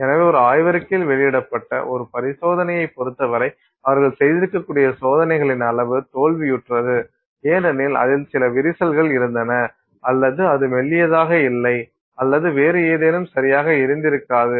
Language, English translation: Tamil, So, for an experiment that you see published in a journal, the amount of, you know, experiments that they may have done which failed simply because you know there was some crack in it or they was not thin enough or you know something else was not right about it